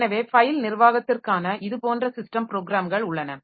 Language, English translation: Tamil, So, these are the file management related system programs